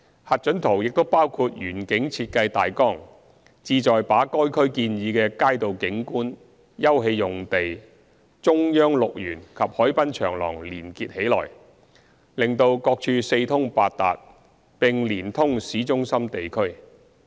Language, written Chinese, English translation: Cantonese, 核准圖也包括園景設計大綱，旨在把該區建議的街道景觀、休憩用地、"中央綠園"及海濱長廊連結起來，使各處四通八達，並連通市中心地區。, The approved OZP also includes a landscape master plan the objective of which is to link the proposed streetscapes open space Central Green and waterfront promenade to the town centre